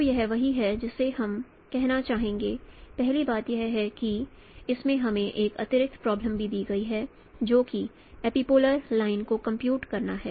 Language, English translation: Hindi, First thing is that in this we have also given an additional problem that is to compute the epipolar line